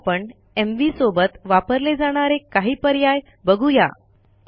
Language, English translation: Marathi, Now let us see some options that go with mv